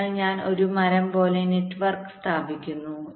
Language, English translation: Malayalam, so i am laying out the clock network like a tree